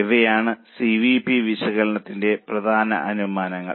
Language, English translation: Malayalam, Now these are the important assumptions of CVP analysis